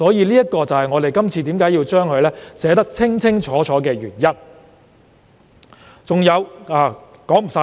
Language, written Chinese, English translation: Cantonese, 這是我們要將事情寫得清清楚楚的原因。, This is the very reason why we have to set out the requirements clearly